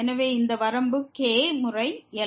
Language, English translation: Tamil, So, this limit will be times